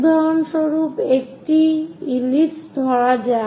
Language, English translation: Bengali, For example, let us take an ellipse